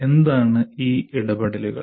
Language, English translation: Malayalam, What are these interactions